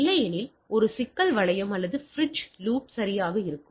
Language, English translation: Tamil, Otherwise there will a problem loop or what we say bridge loop right